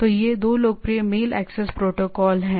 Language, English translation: Hindi, So, these are the 2 popular mail access protocols